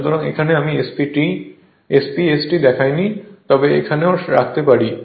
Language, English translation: Bengali, So, here SPST I have not shown, but you can you can put it here also